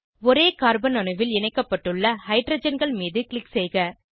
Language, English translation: Tamil, Click on the hydrogens attached to the same carbon atom